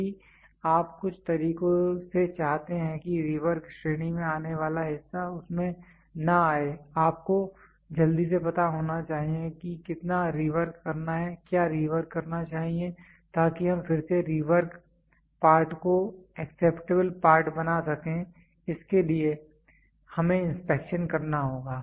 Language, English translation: Hindi, If you want by some means the part from falls on the rework category you should quickly know how much to rework, what should be rework such that we can make the rework part into acceptable part so, for this we have to do inspection